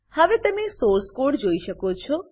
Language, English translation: Gujarati, You can see the Source code now